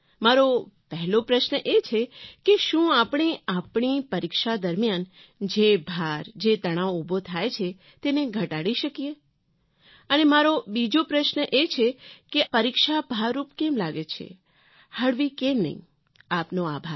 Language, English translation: Gujarati, My first question is, what can we do to reduce the stress that builds up during our exams and my second question is, why are exams all about work and no play